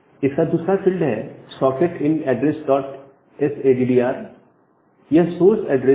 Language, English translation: Hindi, Then we have this socket in address dot s addr it is the source address